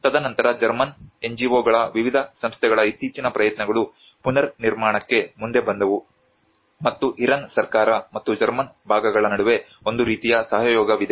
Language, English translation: Kannada, And then the recent efforts by various organizations from the German NGOs came forward to reconstruction and there is a kind of collaboration between the Iran government and as well as the German parts